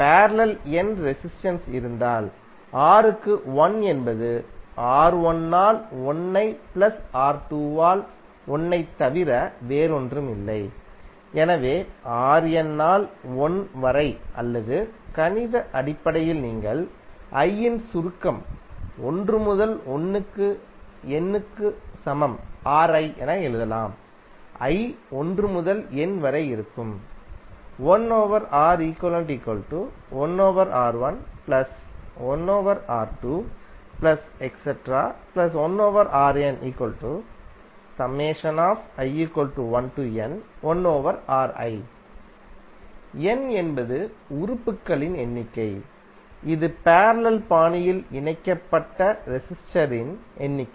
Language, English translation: Tamil, Suppose if there are n resistances in parallel then 1 upon R equivalent is nothing but 1 by R1 plus 1 by R2 and so on upto 1 by Rn or in mathematical terms you can write like summation of i is equal to 1 to N of 1 by Ri, i is ranging between 1 to N where N is number of elements that is number of resistors connected in parallel fashion